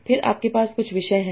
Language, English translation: Hindi, So what are my topics